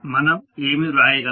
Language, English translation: Telugu, What we can write